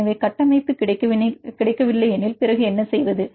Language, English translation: Tamil, So, the structure is not available then what to do